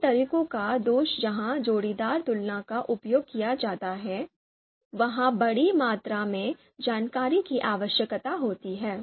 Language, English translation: Hindi, Drawback is you know drawback of you know these methods where pairwise comparisons are used is that a large quantity of information is need needed